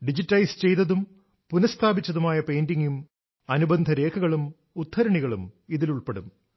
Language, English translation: Malayalam, Along with the digitalized and restored painting, it shall also have important documents and quotes related to it